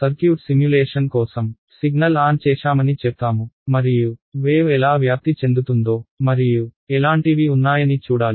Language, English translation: Telugu, Let us say circuit simulation you turn a signal on and you want to see how the wave spreads and things like that right